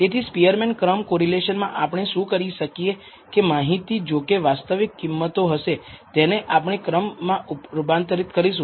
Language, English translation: Gujarati, So, in the Spearman’s rank correlation what we do is convert the data even if it is real value data to what we call ranks